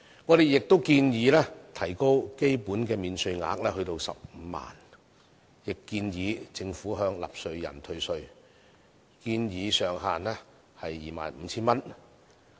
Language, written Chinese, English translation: Cantonese, 我們建議提高基本免稅額至15萬元，亦建議政府向納稅人退稅，建議上限為 25,000 元。, We propose to raise the basic allowance to 150,000 and offer a salaries tax rebate to taxpayers subject to a ceiling of 25,000